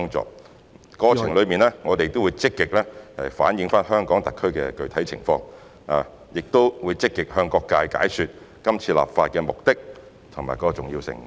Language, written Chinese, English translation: Cantonese, 在立法過程中，我們會積極反映香港特區的具體情況，並積極向各界解說是次立法目的及其重要性。, In the legislative process we will actively reflect the specific situation of the Hong Kong SAR and take active steps to explain to the public the purpose and importance of enacting the law